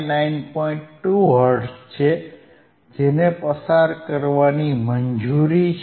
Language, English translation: Gujarati, 2 hertz which now it is allowinged to pass,